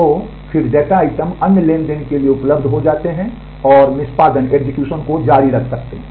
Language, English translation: Hindi, So, then the data items become available for other transactions and, that can continue the execution